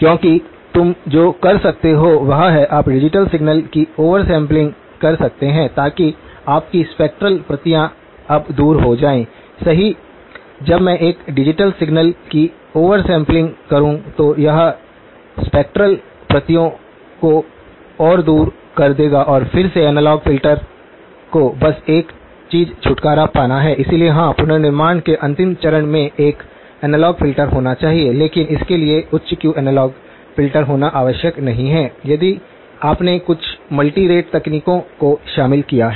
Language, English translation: Hindi, Because what you can do is; you can do over sampling of the digital signal, so that your spectral copies now move further apart, correct when I do over sampling of a digital signal it will move the spectral copies further apart and then my analog filter just has to get rid of the this thing, so yes the last stage of the reconstruction has to be an analog filter, but it does not have to be a high Q analog filter, if you have incorporated some of the multirate techniques